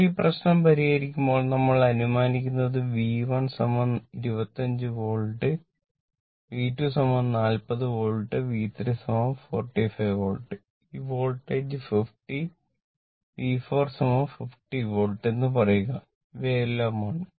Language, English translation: Malayalam, We are assuming that your V 1 is equal to I told you 25 Volt, V 2 is equal to 40 Volt, V 3 is equal to 45 volt right, and this Voltage 50 you assume V 4 is equal to 50 Volt , say V 4 these are all magnitude V 4 is equal to say 50 Volt right